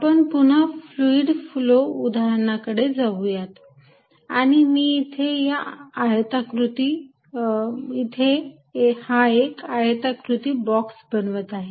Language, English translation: Marathi, Let us again go back to fluid flow, and I will make in this the rectangular small box